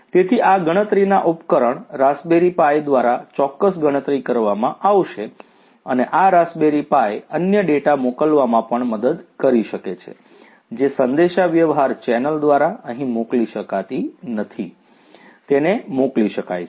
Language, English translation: Gujarati, So, certain computation will be done by this device this raspberry pi and this raspberry pi can also help in sending the other data that it cannot process over here through the communication channel it can be sent